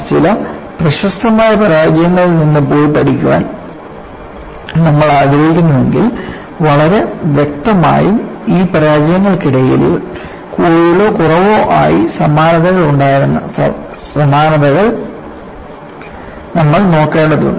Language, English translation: Malayalam, Because if you want to go and learn from some of the spectacular failures, you will have to look at the kind of features that was very obvious, and more or less common between these failures